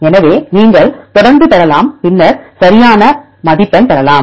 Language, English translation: Tamil, So, you can continue as it is and then appropriately score